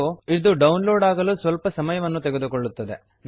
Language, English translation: Kannada, Hence, it will take some time to download